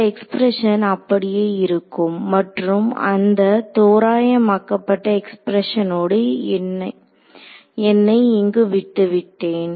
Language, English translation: Tamil, This expression remains as it is and I am left over here with that approximate expressions